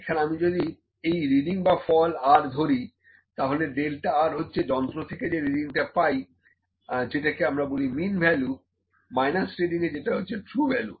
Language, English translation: Bengali, So, if I take third reading or result as r, ok, the delta R is equal to the reading that is from the instrument that is the mean value minus reading that is true value